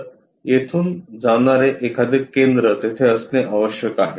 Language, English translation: Marathi, So, there must be some center passing via this